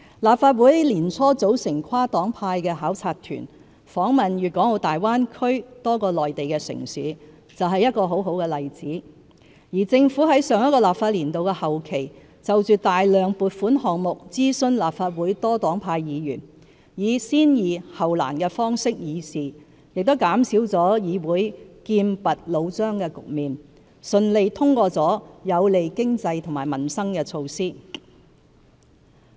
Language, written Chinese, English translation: Cantonese, 立法會年初組成跨黨派的考察團，訪問粵港澳大灣區多個內地城市，就是一個很好的例子；而政府在上一個立法年度的後期就大量撥款項目諮詢立法會多黨派議員，以"先易後難"的方式議事，亦減少了議會劍拔弩張的局面，順利通過了有利經濟和民生的措施。, A good case in point is the visit by a cross - party delegation to various Mainland cities in the Guangdong - Hong Kong - Macao Greater Bay Area arranged by the Legislative Council early this year; another example is the approach of dealing with simple issues before the difficult ones adopted by the Government in presenting many funding items to this Council after consultation with legislators of different parties towards the end of the last legislative session . This has helped reduce confrontation in this Council and contributed to the smooth passage of initiatives that benefit our economy and peoples livelihood